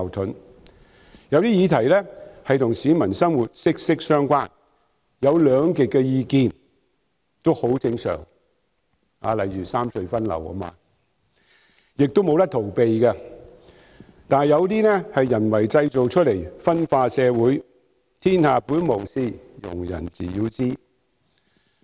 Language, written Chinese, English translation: Cantonese, 在一些與市民生活息息相關的議題上，例如三隧分流，出現兩極意見是很正常的事，亦無法逃避，但有些是人為製造出來分化社會的意見，天下本無事，庸人自擾之。, On issues that are closely related to the peoples lot such as the redistribution of traffic among the three harbour crossings it is normal and inevitable for public views to be polarized though some of the views are deliberately meant to cause divisions in society . There is nothing wrong under the sky originally; only the stupid people are courting troubles for themselves